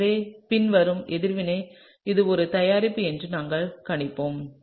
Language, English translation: Tamil, So, therefore, we would predict that this would be the product of the following reaction